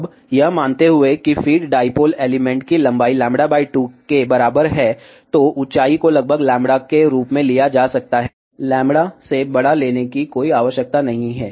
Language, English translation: Hindi, Now, assuming that the feed dipole element has a length equal to lambda by 2, then height can be taken approximately as lambda, there is a no need of taking larger than lambda